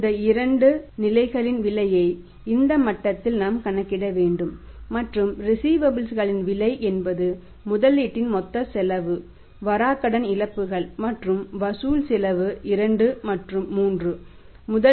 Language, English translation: Tamil, Now we will have to calculate the cost of that these two levels cost at this level and the cost of receivables means total cost of investment bad debt losses and the collection cost at 2 and 3 when the investment is this 196